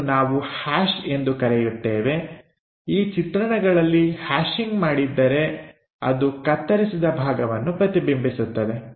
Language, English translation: Kannada, This is what we call hash; hashing in this drawings indicates that these are the cut section